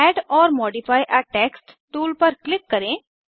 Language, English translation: Hindi, Click on Add or modify a text tool